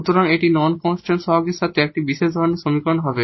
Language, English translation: Bengali, So, this is one kind of special kind of equation with non constant coefficients